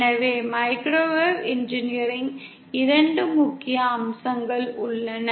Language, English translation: Tamil, So there are 2 major features of microwave engineering